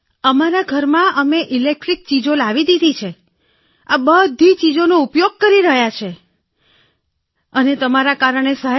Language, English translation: Gujarati, In our house we have brought all electric appliances in the house sir, we are using everything because of you sir